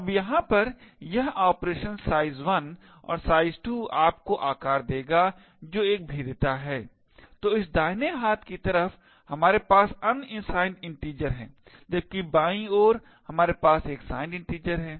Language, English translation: Hindi, Now this operation over here size 1 plus size 2 would give you size is a vulnerability, so it is on the right hand side we have unsigned integers while on the left hand side we have a signed integer